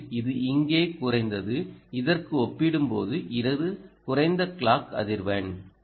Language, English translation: Tamil, in fact it fell down here and this is a lower clock frequency, right